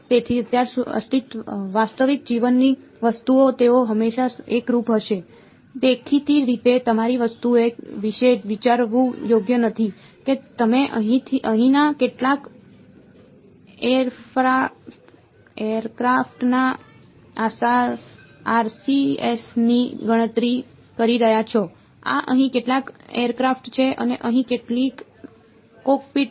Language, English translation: Gujarati, So, right now real life objects will they always be homogenous; obviously not right think of your things that your calculating the RCS of some you know aircraft over here right this is some aircraft there is some cockpit over here